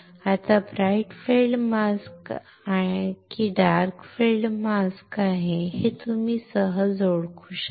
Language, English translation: Marathi, Now, you can easily identify if there is a bright field mask or is a dark field mask